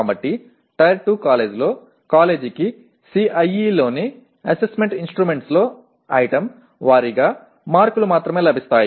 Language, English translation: Telugu, So in a Tier 2 college, the college will have only access to item wise marks in Assessment Instruments in CIE